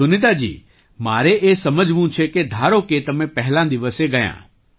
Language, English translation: Gujarati, Sunita ji, I want to understand that right since you went there on the first day